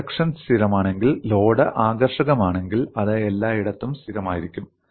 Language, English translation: Malayalam, If the cross section is constant, if the load is uniform, then it is constant everywhere